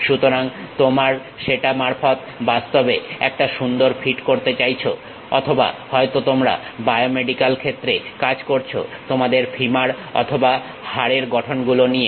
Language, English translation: Bengali, So, you would like to really fit a nice curve, through that or perhaps you are working on biomedical field your femurs or bone structures